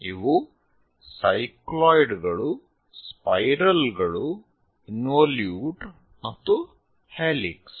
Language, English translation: Kannada, These are cycloids, spirals, involutes and helix